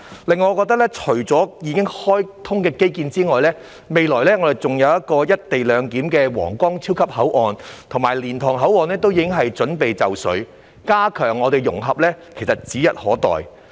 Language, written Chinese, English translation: Cantonese, 此外，除了已經開通的基建外，未來還有"一地兩檢"的皇崗超級口岸，而且蓮塘口岸亦已準備就緒，加強融合是指日可待。, In addition apart from the infrastructures which have already opened there will be the super Huanggang Port where co - location will be implemented and the Liantang Port is also ready for opening so the integration will be enhanced soon